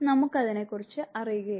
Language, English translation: Malayalam, We are not aware to about it